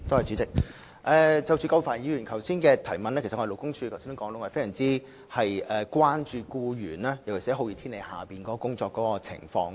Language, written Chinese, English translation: Cantonese, 主席，有關葛珮帆議員的補充質詢，勞工處其實非常關注僱員在酷熱天氣下的工作情況。, President regarding the supplementary question raised by Dr Elizabeth QUAT LD is indeed greatly concerned about the working conditions of employees under hot weather